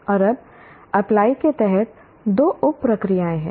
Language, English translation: Hindi, And now there are two sub processes under apply